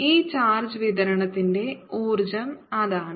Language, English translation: Malayalam, that is the energy of this charge distribution